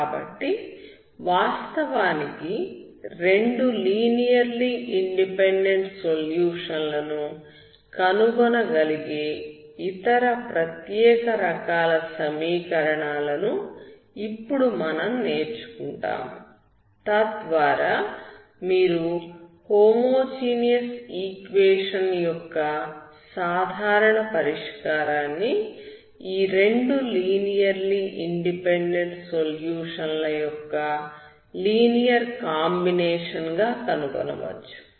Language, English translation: Telugu, So we will be learning what other special type of equations for which you can actually find two linearly independent solution so that you can find the general solution as a linear combination of these two linearly independent solutions of the homogeneous equation